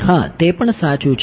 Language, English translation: Gujarati, Yeah that is also true